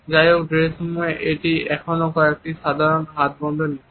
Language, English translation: Bengali, However, in the dressing room it is still normally a hands off policy